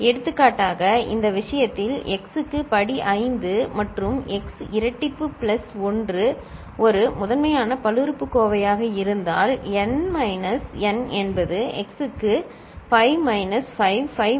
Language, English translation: Tamil, For example, in this case if x to the power 5 plus x square plus 1 is a primitive polynomial, then n minus n is x to the power 5 minus 5, 5 minus 2 and 5 minus 0, right